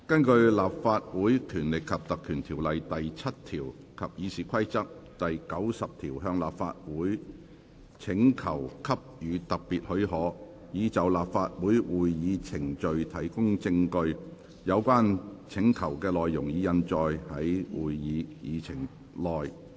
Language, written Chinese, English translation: Cantonese, 根據《立法會條例》第7條及《議事規則》第90條向立法會請求給予特別許可，以就立法會會議程序提供證據。有關請求的內容，已印載於會議議程內。, Request made under section 7 of the Legislative Council Ordinance and Rule 90 of the Rules of Procedure for special leave of the Council to give evidence of Council proceedings as printed on the Agenda